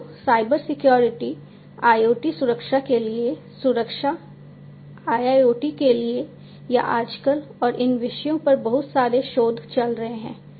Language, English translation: Hindi, So, Cybersecurity, security for IoT security for IIoT or hot topics nowadays, and lot of research are going on these topics